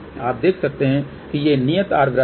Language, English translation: Hindi, So, you can see that these are the constant r circle